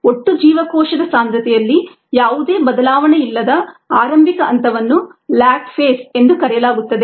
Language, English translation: Kannada, the phase in which the initial phase in which there is no change in the cell concentration, total cell concentration, is called the lag phase